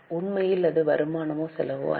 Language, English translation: Tamil, Actually it is neither, it is neither income nor expense